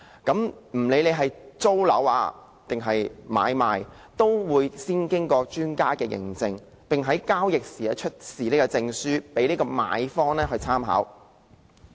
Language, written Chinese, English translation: Cantonese, 不論是租住或買賣，都會先經過專家認證，並在交易時出示證書給買方或租客參考。, Before a property is offered for lease or sale its energy - efficiency performance will be certified by an expert and the certificate will be given to the buyer or the tenant for reference during the transaction process